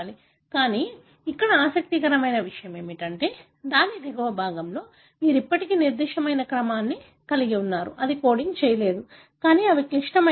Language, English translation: Telugu, But, what is interesting here is that downstream of that, you still have certain sequence which is not coding, but they are very, very critical